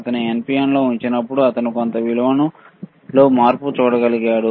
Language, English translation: Telugu, When he was placing in NPN, he could see the change in some value